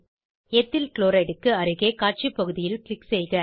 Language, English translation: Tamil, Click on the Display area, beside Ethyl Chloride